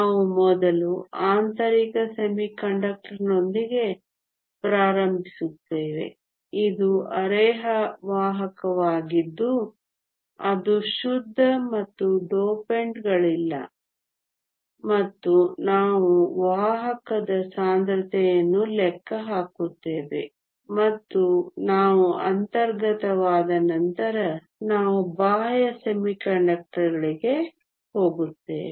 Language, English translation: Kannada, We will first start with an intrinsic semiconductor, which is a semiconductor which is pure and no dopends and we will calculate the carrier concentration in that and after we are done with intrinsic we will move on to extrinsic semiconductors